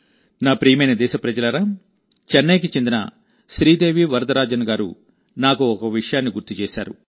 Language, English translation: Telugu, My dear countrymen, Sridevi Varadarajan ji from Chennai has sent me a reminder